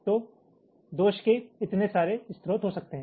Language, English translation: Hindi, so there can be so many sources of faults